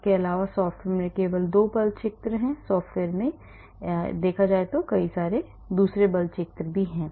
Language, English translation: Hindi, Also, this software has only 2 force fields there are software which have many many force fields